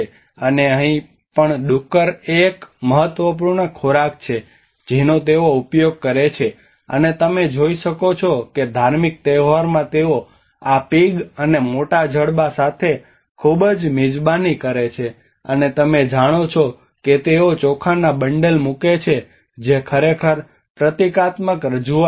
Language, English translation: Gujarati, And here even the pig is also one of the important food which they consume, and you can see that they also conduct lot of feast of with these pigs and also big jaws and you know they put the rice bundles and which are actually a symbolic representation of the ritual feasting